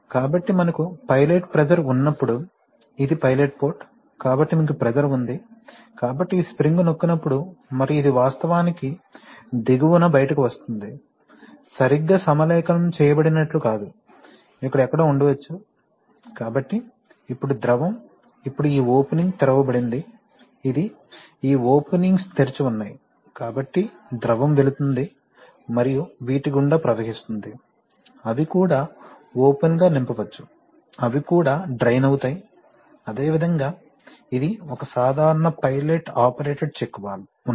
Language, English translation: Telugu, So when we have pilot pressure then, this is the pilot port, so you have pressure, so this spring will be pressed and this will actually come out at the bottom, not like exactly aligned, maybe somewhere over here, so now the fluid, now this opening is opened, this, these openings are open, so the fluid will pass and can flow through these, they can also fill open, they can also get drained, okay, so you see, so this is a typical pilot operated check valve similarly